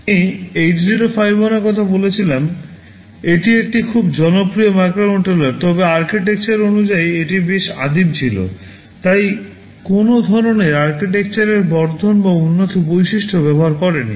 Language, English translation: Bengali, Well I talked about 8051 that was a very popular microcontroller no doubt, but architectureal wise it was pretty primitive, it did not use any kind of architectural enhancement or advanced features ok